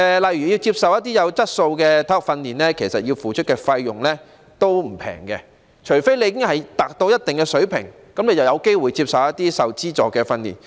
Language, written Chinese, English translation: Cantonese, 例如，要接受一些有質素的體育訓練，須付出的費用並不便宜，除非已達到一定的水平，這樣便有機會接受一些受資助的訓練。, For example it is not cheap to receive quality sports training unless one has reached a certain standard of performance in which case one will have the opportunity to receive subsidized training